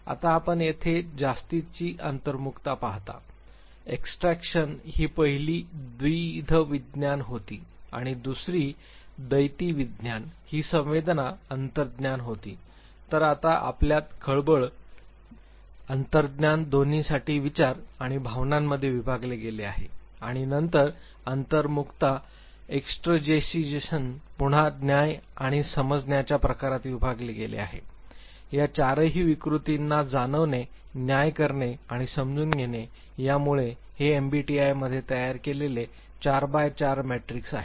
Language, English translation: Marathi, Now you see here extra introversion, extroversion was the first dichotomy and the second dichotomy was sensation intuition So, now you have sensation, intuition divided into thinking and feeling for both and then introversion extraversion again divided in terms of judging and perceiving type, thinking, feeling, judging, and perceiving all these four dichotomies, so it is a 4 by 4 matrix that is created in MBTI